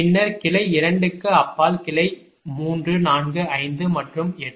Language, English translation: Tamil, so beyond this branch two, these are the branches beyond branch three, four, five and eight